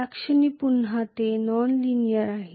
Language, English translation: Marathi, At that point again it is non linear